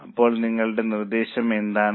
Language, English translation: Malayalam, So what is your suggestion